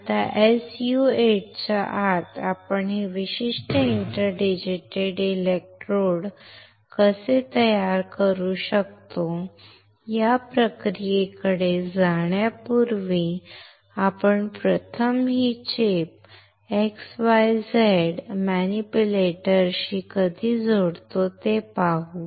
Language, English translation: Marathi, Now, before we go to the process of how can we fabricate this particular inter digitated electrodes, inside the SU 8, let us first see when we connect this chip with the x y z manipulator